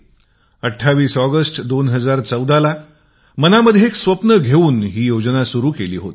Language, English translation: Marathi, On the 28th of August 2014, we had launched this campaign with a dream in our hearts